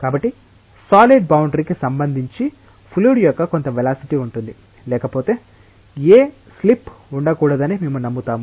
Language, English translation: Telugu, So, there will be some velocity of the fluid relative to the solid boundary even if otherwise, we tend to believe that there should not be any slip